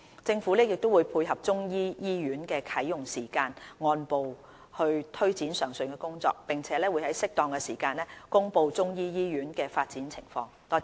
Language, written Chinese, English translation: Cantonese, 政府亦會配合中醫醫院的啟用時間按步推展上述工作，並會在適當時間公布中醫醫院的發展情況。, The Government will take forward the work mentioned above step by step to match with the timing for the Chinese medicine hospital to commence operation and report the progress of the development of the Chinese medicine hospital at an appropriate juncture